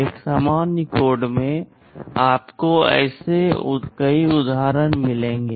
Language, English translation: Hindi, In a general code you will find many such instances